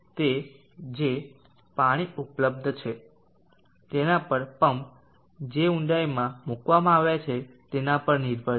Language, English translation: Gujarati, It depends upon the amount of the water that is available the depth to which the pump as been placed